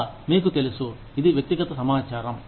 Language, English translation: Telugu, So again, you know, this is personal information